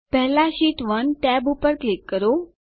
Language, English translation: Gujarati, First, click on the Sheet 1 tab